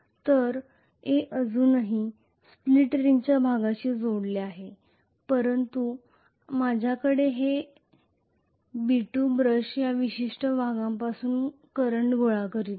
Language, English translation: Marathi, So A is still connected to A part of the split ring but I am going to have to this I will have brush B2 is collecting current from this particular portion